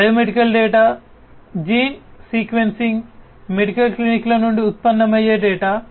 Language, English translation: Telugu, Biomedical data, data that are generated from gene sequencing, from medical clinics